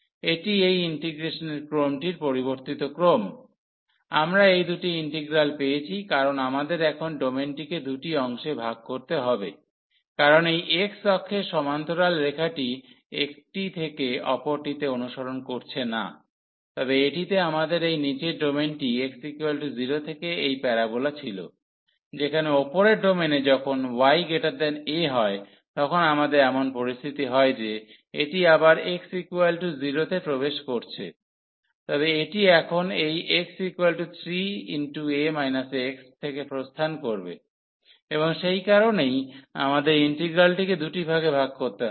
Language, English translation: Bengali, So, this is the order the change of order of integration we got this 2 integrals because we need to divide now the domain into 2 parts because the line this parallel to this x axis was not following from 1 to the another one, but in this lower domain we had from this x is equal to 0 to this parabola while in the upper domain here when y is greater than a, then we have the situation that it is entering again at x is equal to 0, but it will exit now from this line y is equal to 3 a minus x and that is the reason we have to break the integral into 2 parts